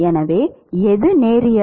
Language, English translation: Tamil, So, which one is linear